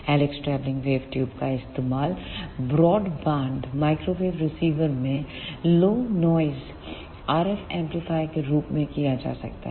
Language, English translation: Hindi, The helix travelling wave tubes can be used an broad band microwave receivers as a low noise RF amplifiers